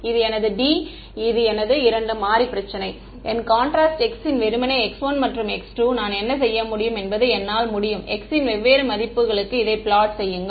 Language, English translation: Tamil, This is my 2 D this is my two variable problem so, my contrast x is simply x 1 x 2 and what I can do is I can plot this for different values of x